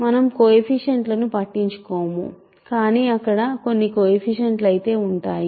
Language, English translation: Telugu, So, coefficients we do not care, but there will be some coefficients